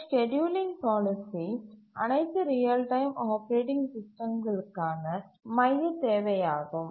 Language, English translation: Tamil, And this scheduling policy is the central requirement for all real time operating systems that we had seen